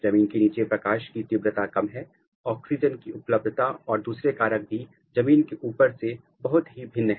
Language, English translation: Hindi, Underground the light intensity is less, oxygen availability environmental other factors which are very different than the above ground